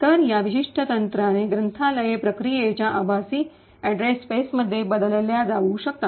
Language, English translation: Marathi, So, with this particular technique, libraries can be made relocatable in the virtual address space of the process